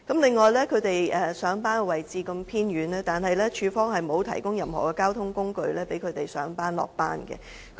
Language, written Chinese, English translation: Cantonese, 還有，他們上班的位置偏遠，但署方沒有提供任何交通工具讓他們上班和下班。, Besides their workplace is located in remote areas . But CSD has not provided them with any modes of transport for commuting to work